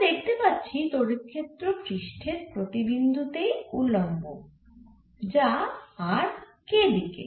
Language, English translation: Bengali, so we can see electric field is perpendicular at every point on the surface which is along the r k direction